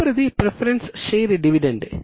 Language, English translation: Telugu, Next is equity share dividend